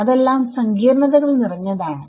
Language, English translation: Malayalam, So, those are all sorts of complications